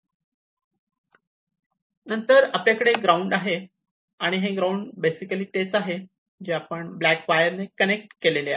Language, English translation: Marathi, And then, we have the ground this ground is basically the one, which is connected using the black wire